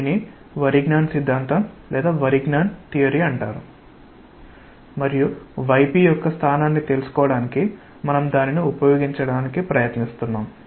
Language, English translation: Telugu, This is known as Varignon s theorem and we will try to use that for finding out the location of y p